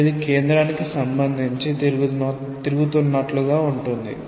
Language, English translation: Telugu, So, it will be as if swivelling with respect to the centre